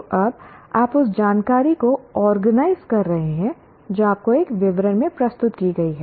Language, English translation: Hindi, So, you are organizing the information now that is presented to you in a description